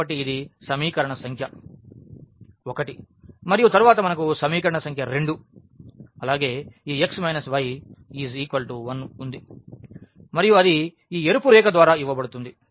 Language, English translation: Telugu, So, this is the equation number 1 and then we have the equation number 2 as well this x minus y is equal to 1 and that is given by this red line